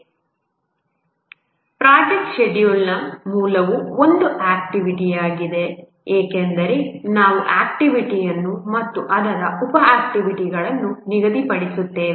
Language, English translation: Kannada, The basic to project scheduling is an activity because we schedule an activity and its sub activities